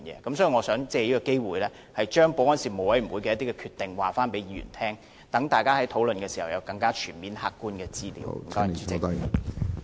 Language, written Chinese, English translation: Cantonese, 因此，我想藉此機會，告知各位議員事務委員會的決定，以便大家在討論時能掌握更全面的客觀資料。, Hence I would like to take this opportunity to inform all Members of the Panels such decision so as to facilitate the discussion where Members have a good grasp of more comprehensive and objective information